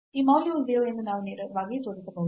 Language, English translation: Kannada, So, directly we can show that this value is 0